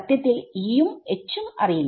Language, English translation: Malayalam, No because I do not know E